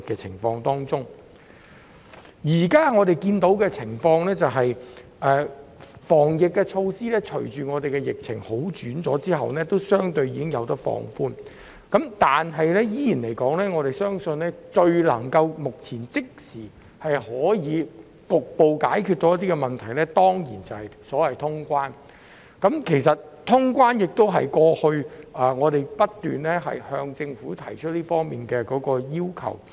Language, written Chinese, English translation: Cantonese, 雖然我們現時所看到的，是隨着本地疫情有所改善，抗疫措施已相對放寬，但我仍要指出一點，就是我們相信目前最能即時局部解決問題的方法，是恢復通關，這亦是我們過去不斷向政府提出的要求。, Although we have seen that the anti - epidemic measures have been somewhat relaxed following an improvement in the local epidemic situation I still have to point out that we believe reopening the borders is so far the most immediate solution to partially resolve the problem and this is also a demand consistently put up by us to the Government